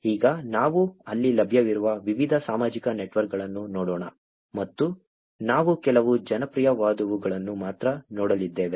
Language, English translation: Kannada, Now, let us look at different social networks that are available there and we are only going to look at some of the popular ones